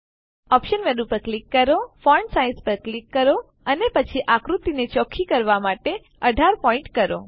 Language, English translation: Gujarati, Click on the options menu click on font size and then on 18 point to make the figure clear